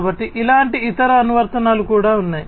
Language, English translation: Telugu, So, like this there are different other applications also